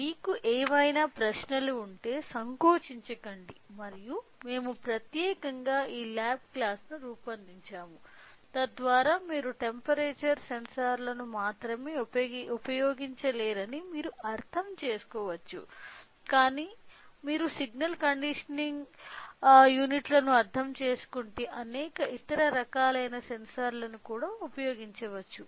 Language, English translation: Telugu, If you any questions feel free to ask and we have designed particularly this lab class, so that you can understand that you can not only use temperature sensor, but you can also use several other kind of sensors if you understand the signal conditioning units right